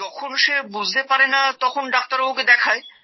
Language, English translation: Bengali, Since they don't understand, they show it to the doctor